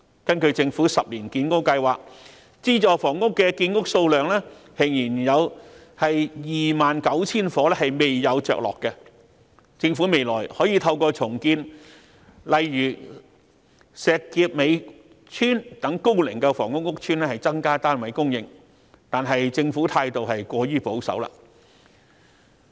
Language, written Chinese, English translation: Cantonese, 根據政府10年建屋計劃，資助房屋的建屋數量仍有 29,000 伙未有着落，政府未來可以透過重建高齡房屋屋邨，例如石硤尾邨，以增加單位供應量，但政府態度過於保守。, Based on the Governments 10 - year Public Housing Programme there is still a shortage of 29 000 units from the production target of subsidized housing flats . In order to increase flat supply the Government can rebuild old public housing projects such as Shek Kip Mei Estate in the future . However the Government has been too conservative